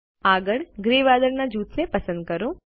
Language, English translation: Gujarati, Next, let us select the gray cloud group